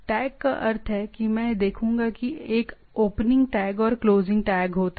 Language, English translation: Hindi, Tag means it I will see that there will be an opening tag and closing tag